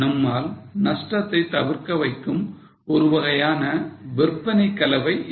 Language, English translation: Tamil, Sales mix is such a way that we avoid losses